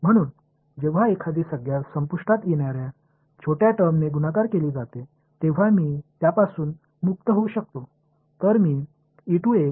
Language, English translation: Marathi, So, when a finite term is multiplied by a vanishingly small term, I can get rid off it right